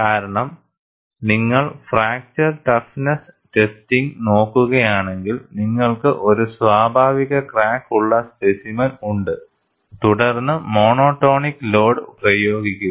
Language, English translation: Malayalam, Because, if you look at the fracture toughness testing, you have the specimen with a natural crack and then, simply apply monotonic load